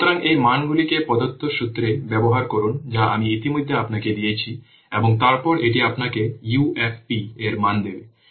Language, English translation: Bengali, So, use these values in the given formula that I already have given you and then it will give you this values of UFP